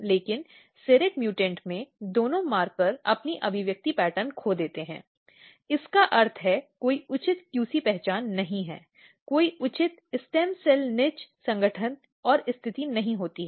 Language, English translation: Hindi, But what happens in the serrate mutant, both the markers lost their expression pattern, which means that there is no proper QC identity, there is no proper stem cell niche organization and positioning